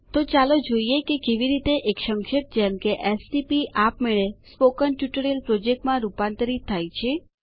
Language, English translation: Gujarati, You will notice that the stp abbreviation gets converted to Spoken Tutorial Project